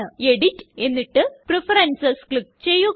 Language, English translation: Malayalam, Click on Edit and then on Preferences